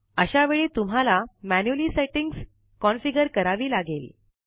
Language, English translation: Marathi, In such a case, you must configure the settings manually